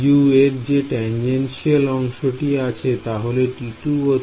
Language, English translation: Bengali, The tangential components of U of T 2 and T 3 are